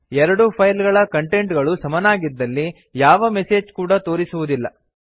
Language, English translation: Kannada, If the two files have exactly same content then no message would be shown